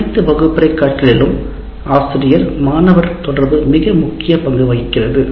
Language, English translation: Tamil, And teacher student interaction plays a very important role in all learning activities in the classroom